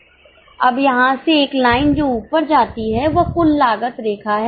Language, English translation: Hindi, Now, from here onwards a line which goes up is a total cost line